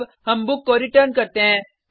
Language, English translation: Hindi, Now, let us return the book